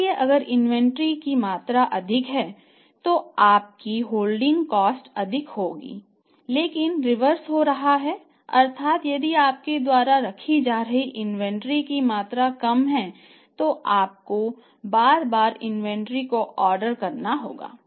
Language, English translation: Hindi, So, higher the amount of inventory you are keeping your holding cost is high but reverse is happening that if the lower the amount of the inventory you are keeping